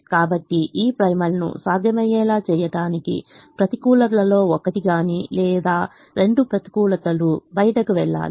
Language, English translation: Telugu, so to make this primal feasible, one of the negatives or both the negatives have to go out